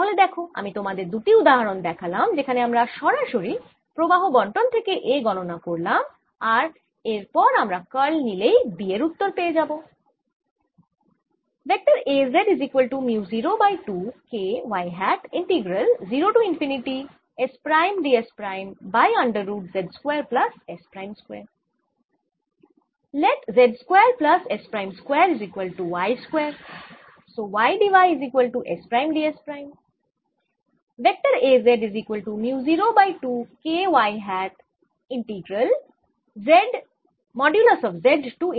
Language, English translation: Bengali, so you see, i've given you two examples where we can calculate a directly from a current distribution, and now i can take its curl and get my answer for b